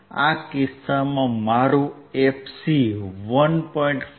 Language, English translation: Gujarati, In this case my fc would be 1